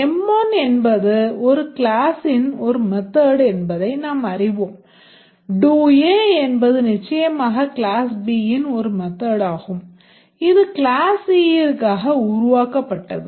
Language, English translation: Tamil, We know that M1 is a method of A class, do A is a method of the B class, of course create, that is the constructor for the C class